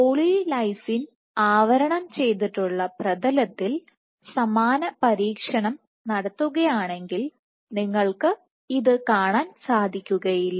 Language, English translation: Malayalam, If you were to do the same experiment on a poly lysine coated surface you would not see it